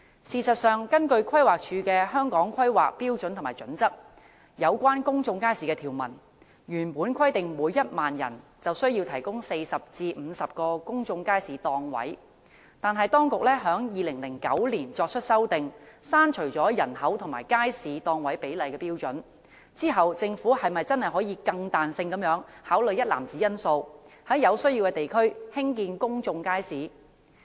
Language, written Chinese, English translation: Cantonese, 事實上，根據規劃署的《規劃標準》有關公眾街市的條文，原本規定每1萬人便需要提供40至50個公眾街市檔位，但當局在2009年作出修訂，刪除了人口與街市檔位比例的標準，在作出刪除後，政府是否真的可以更彈性地考慮一籃子因素，在有需要的地區興建公眾街市？, In fact according to the provision on public markets in HKPSG compiled by the Planning Department it was originally required that 40 to 50 public market stalls should be provided for every 10 000 persons but the authorities amended it in 2009 to delete the population - based planning standard for public markets . After the deletion can the Government really be more flexible in considering a basket of factors and build public markets in areas where such need arises?